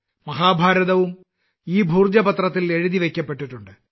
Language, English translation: Malayalam, Mahabharata was also written on the Bhojpatra